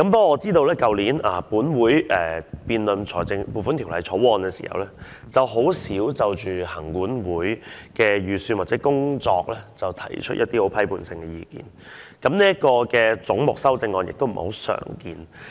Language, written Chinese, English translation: Cantonese, 我知道去年本會在辯論《撥款條例草案》時，很少就行政管理委員會的預算開支或工作，提出一些批判性的意見，而就這個總目提出的修正案亦不太常見。, I know that last year when this Council debated on the Appropriation Bill we seldom aired our critical views on the estimated expenditure for or the work of the Legislative Council Commission . And it is also rare to have amendments in respect of this head